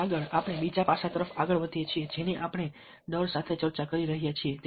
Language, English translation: Gujarati, ok, and next we move on to the, the other aspect which we are discussing with fear appeal